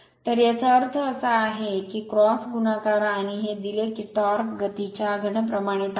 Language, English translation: Marathi, So that means, you cross multiply and given that the torque is proportional to the cube of the speed